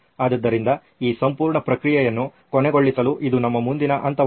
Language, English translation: Kannada, So that would be our next step to end this whole process